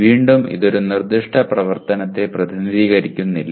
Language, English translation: Malayalam, Again, it does not represent a specific activity